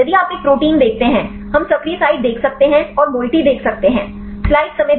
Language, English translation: Hindi, If you see a protein; we can see the active site and see the moiety